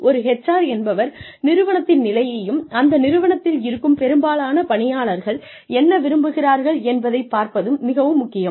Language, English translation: Tamil, And, it is very important for an HR manager, to get a pulse of the organization, and to see, what most employees are looking for, from that organization